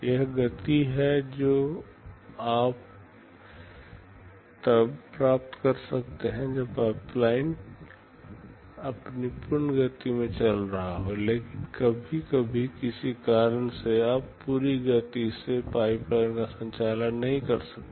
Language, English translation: Hindi, It is the speedup you can get when the pipeline is operating in its full speed, but sometimes due to some reason, you cannot operate the pipeline at full speed